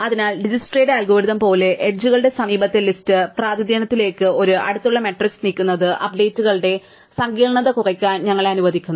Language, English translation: Malayalam, So, exactly as Dijkstra's algorithm moving an adjacency matrix to adjacency list representation of the edges allows us to reduce the complexity of the updates